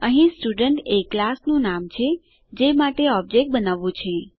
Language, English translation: Gujarati, Here, Student is the name of the class for which the object is to be created